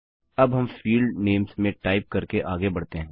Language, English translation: Hindi, Now we proceed with typing in the the field names